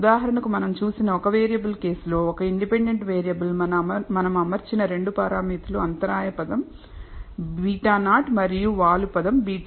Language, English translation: Telugu, For example in the one variable case that we saw one independent variable the only 2 parameters that we are fitting are the intercept term beta naught and the slope term beta one